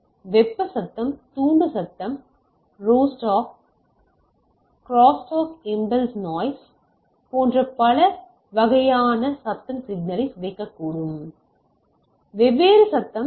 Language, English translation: Tamil, Several type of noise such as thermal noise, induced noise, crosstalk impulse noise may corrupt the signal right, so there can be different noise